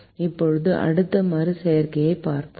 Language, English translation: Tamil, now look at the next alteration